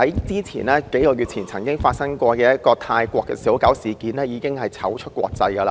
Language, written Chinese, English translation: Cantonese, 數個月前發生的泰國小狗事件，已經令我們在國際間出醜。, The incident which happened a few months ago involving a dog from Thailand has already embarrassed Hong Kong in the international community